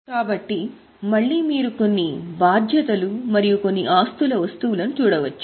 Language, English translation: Telugu, So, again you can see certain items of liabilities and certain items of assets